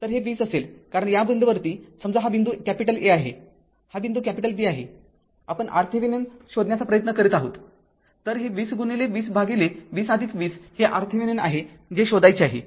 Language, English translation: Marathi, So, it will be 20 because at this point say, this is point A, this is point B, we are trying to find out R Thevenin, so it will be 20 into 20 by 20 plus 20 this is your R thevenin you have to find out